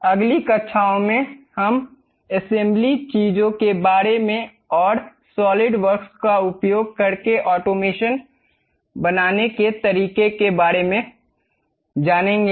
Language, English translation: Hindi, In the next classes, we will learn about assembly things and how to make automation using this solid works